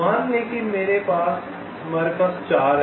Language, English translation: Hindi, let say we have, there are four